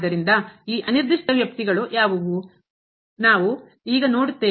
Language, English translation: Kannada, So, what are these indeterminate expressions; we will see now